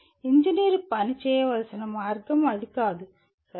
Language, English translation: Telugu, That is not the way engineer need to work, okay